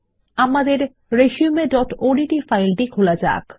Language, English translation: Bengali, We shall open our resume.odt file